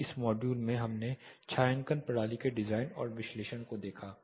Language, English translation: Hindi, So far in this module we looked at the shading system design and analysis